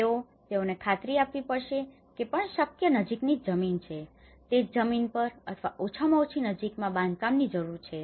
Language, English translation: Gujarati, So, they have to ensure that whatever the land the nearest possible vicinity so, they need to build on the same land or at least in the nearby vicinity